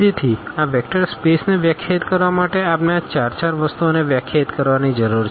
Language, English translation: Gujarati, So, we need to define these four four things to define this vector space